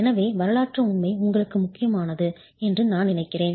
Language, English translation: Tamil, So, I think that historical fact is important for you